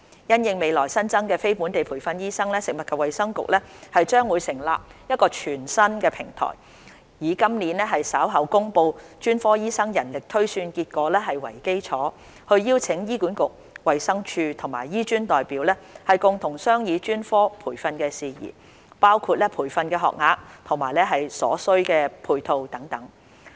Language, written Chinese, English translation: Cantonese, 因應未來新增的非本地培訓醫生，食物及衞生局將成立一個全新的平台，以今年稍後公布的專科醫生人力推算結果為基礎，邀請醫管局、衞生署及醫專代表共同商議專科培訓事宜，包括培訓學額和所需配套等。, In view of the future increase in NLTDs FHB is planning to set up a new platform and invite representatives from HA DH and HKAM to discuss matters related to specialist training including the number of training places and necessary supporting infrastructure based on the specialist manpower projection to be announced later this year